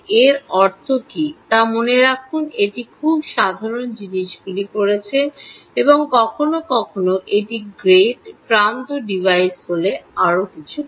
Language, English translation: Bengali, remember what it means is it has done some very simple things and sometimes, if it is a gate edge device, has done something more